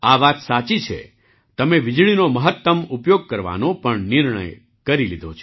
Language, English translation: Gujarati, This is true, you have also made up your mind to make maximum use of electricity